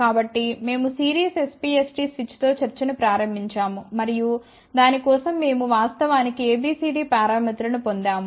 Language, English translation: Telugu, So, we had started the discussion with the series SPST switch, and for that we had actually derived the A B C D parameters